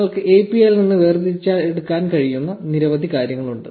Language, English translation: Malayalam, Now there are loads of other things that you can extract from the API